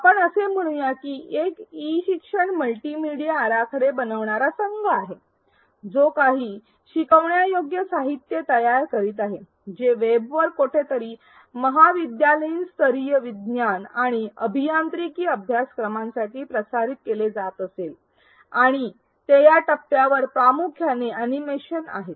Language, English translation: Marathi, Let us say there is an e learning multimedia design team that is creating some instructional materials maybe hosted somewhere on the web for college level science and engineering courses and they are primarily animations at this stage